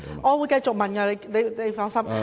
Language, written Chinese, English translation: Cantonese, 我會繼續提問的，請放心。, Dont worry I will raise my question